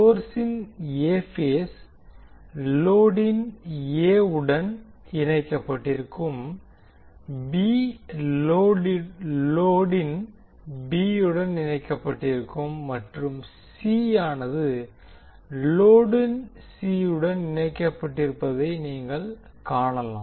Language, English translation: Tamil, So you will see that the A phase of the source is connected to A of load, B is connected to B of load and then C is connected to C phase of the load